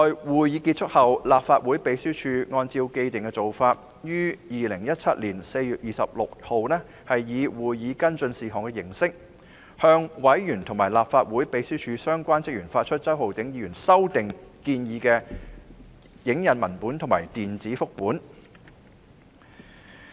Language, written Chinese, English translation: Cantonese, 會議結束後，立法會秘書處按照既定做法，在2017年4月26日以會議跟進事項的形式，向委員及立法會秘書處相關職員發出周浩鼎議員修訂建議的影印文本及電子複本。, After the meeting in line with the established practice the Legislative Council Secretariat circularized to members the photocopies and electronic copies of Mr Holden CHOWs proposed amendments in the form of a follow - up to the meeting on 26 April 2017